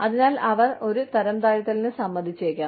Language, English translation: Malayalam, So, they may agree to a demotion